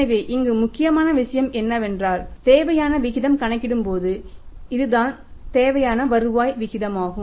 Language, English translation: Tamil, So, here the important thing is that the required rate of return when you calculate the required rate of return that is the required rate of return